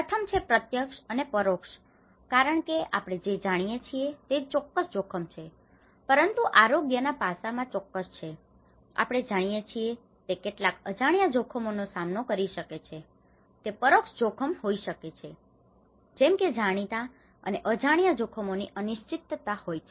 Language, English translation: Gujarati, One is the direct and indirect risks because what we know is certain risk but certain in the health aspect, we may encounter some unknown risks you know, it might be an indirect risk like for instance there is uncertainty of known and unknown risks